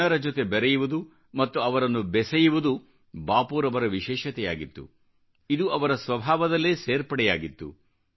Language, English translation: Kannada, Getting connected with people or connecting people with him was Bapu's special quality, this was in his nature